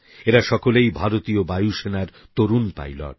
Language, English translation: Bengali, All of them are pilots of the Indian Air Force